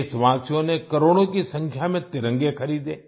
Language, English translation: Hindi, The countrymen purchased tricolors in crores